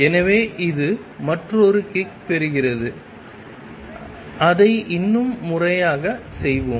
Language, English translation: Tamil, So, it gets another kick, let us do it more systematically